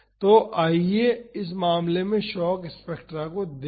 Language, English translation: Hindi, So, now, let us see the shock spectra in this case